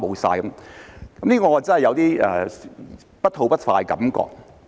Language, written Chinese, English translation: Cantonese, "對此，我真的有點不吐不快的感覺。, In this regard I feel there is really something that I must say